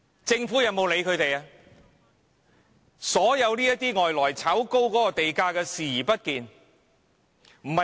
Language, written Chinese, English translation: Cantonese, 政府對外來投資者來港炒高地價視而不見。, It just turns a blind eye to the speculative activities of overseas investors which has pushed up our land prices